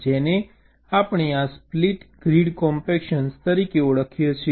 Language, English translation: Gujarati, this we call as this split grid compaction